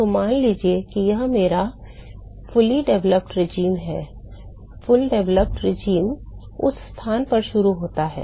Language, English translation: Hindi, So, supposing if this is my fully developed regime fully developed regime starts at that location